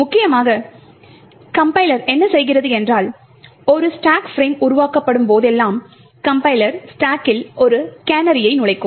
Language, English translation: Tamil, Essentially what the compiler does is that, whenever a stack frame gets created the compiler could insert a canary in the stack